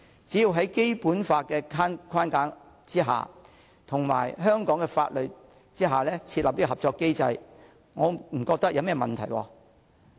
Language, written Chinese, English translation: Cantonese, 只要在《基本法》的框架及香港的法律之下設立合作機制，我不覺得有甚麼問題。, As long as a cooperation mechanism is established under the framework of the Basic Law and the laws of Hong Kong I do not see any problem with it at all